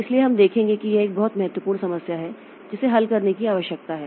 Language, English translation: Hindi, So we'll see that there is this is a very important problem that needs to be resolved